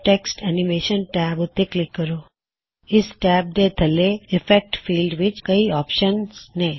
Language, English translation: Punjabi, In the Effects field under this tab there are various options